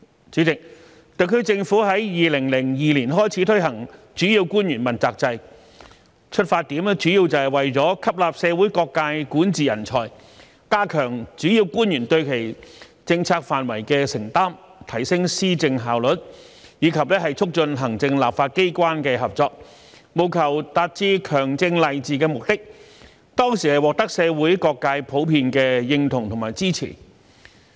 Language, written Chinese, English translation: Cantonese, 主席，特區政府於2002年開始推行主要官員問責制，出發點主要是為了吸納社會各界管治人才，加強主要官員對其政策範疇的承擔，提升施政效率，以及促進行政立法機關的合作，務求達致強政勵治的目的，當時獲得社會各界的普遍認同和支持。, President the SAR Government introduced the accountability system for principal officials in 2002 with the main aims to select talents in governance from various sectors of the community strengthen the accountability of principal officials for their respective policy portfolios enhance the efficiency of policy implementation and facilitate cooperation between the Executive and the Legislature thereby achieving strong governance . The system was well received and won the general support of different sectors in the community at that time